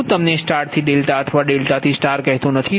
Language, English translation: Gujarati, i do not tell you delta to star or star to delta, you know it right